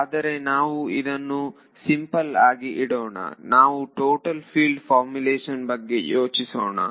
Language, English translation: Kannada, But let us keep it simple let us just think about total field formulation for now ok